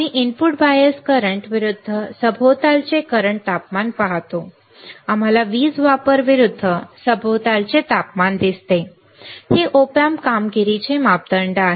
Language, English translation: Marathi, We see input bias current versus ambient current temperature, we see power consumption versus ambient temperature, this is a performance parameter are of the op amp alright